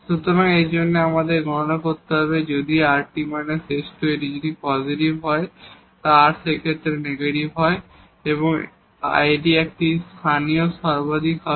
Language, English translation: Bengali, So, for that we need to compute rt minus s square, if it is positive and r is negative in that case, this comes to be a local maximum